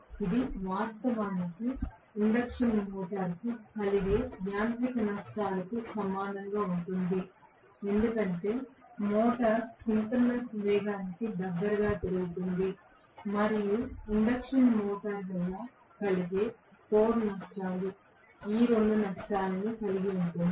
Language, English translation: Telugu, This will be actually equal to the mechanical losses incurred by the induction motor because the motor is running close to the synchronous speed plus the core losses incurred by the induction motor